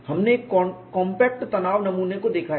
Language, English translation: Hindi, We have seen a compact tension specimen